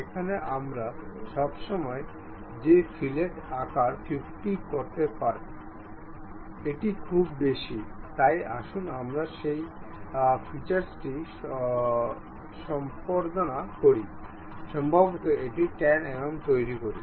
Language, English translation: Bengali, Here we can always increase that fillet size 50; it is too much, so let us edit that feature, maybe make it 10 mm